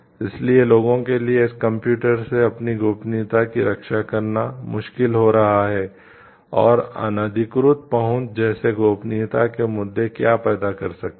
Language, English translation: Hindi, So, it is computers are make it difficult for people to protect their privacy and what could be the issues in privacy like inappropriate access